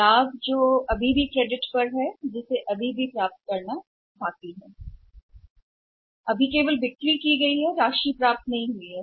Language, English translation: Hindi, Not the profit which is still on credit which still is yet to be received only sales have been made for the amount has not been received